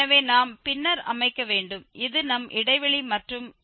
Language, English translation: Tamil, So, we will set then this is our interval and 0